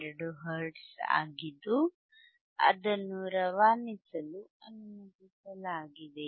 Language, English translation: Kannada, 2 hertz which now it is allowinged to pass,